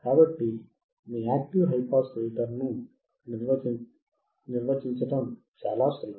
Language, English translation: Telugu, So, it is very easy to define your active high pass filter